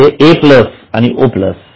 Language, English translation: Marathi, So, A plus O plus are you getting